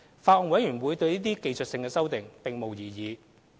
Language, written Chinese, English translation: Cantonese, 法案委員會對這些技術性修訂並無異議。, The Bills Committee on Stamp Duty Amendment Bill 2017 raised no objection to these technical amendments